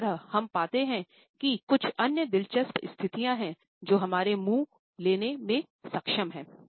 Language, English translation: Hindi, Similarly, we find that there are some other interesting positions which our mouth is capable of taking